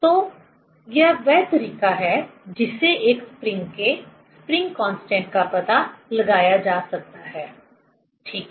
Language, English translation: Hindi, So, this is the way one can find out the spring constant of a spring, ok